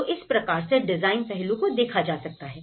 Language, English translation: Hindi, So, this is how this looks at the design aspect of it